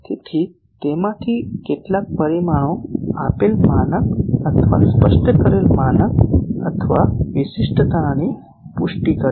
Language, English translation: Gujarati, So, those some of those parameters confirms to a given standard or specified standard or specification